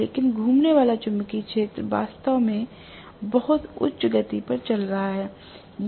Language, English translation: Hindi, But the revolving magnetic field is really running at a very, very high speed